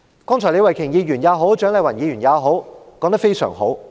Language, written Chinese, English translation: Cantonese, 剛才李慧琼議員和蔣麗芸議員均說得非常好。, Ms Starry LEE and Dr CHIANG Lai - wan both made a good point just now